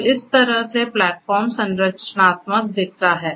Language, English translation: Hindi, So, this is how this predicts platform structural looks like